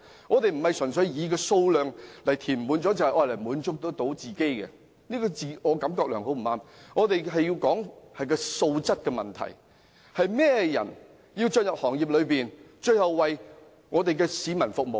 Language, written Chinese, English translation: Cantonese, 我們不是純粹以填滿數量來滿足自己，並非自我感覺良好，而是追求素質，講求甚麼人進入行業為市民服務。, We are not filling in the numbers to satisfy ourselves . Instead we do look for quality and care about what kind of people join the sector to serve the people